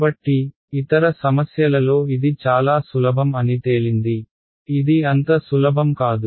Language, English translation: Telugu, So, this turned out to be really simple in other problems it will not be so simple